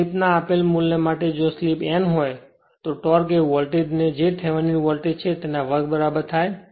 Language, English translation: Gujarati, For a given value of slip if slip is known, the torque is then proportional to the square of the your voltage that is Thevenin voltage right